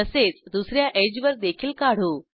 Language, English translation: Marathi, Likewise let us draw on the other edge